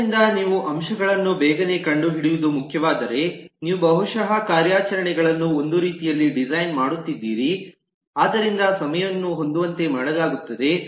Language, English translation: Kannada, so if it is important that you need to find the elements very quickly, then you will possibly design the operations in a way so the time is optimized, but you may be able to afford some space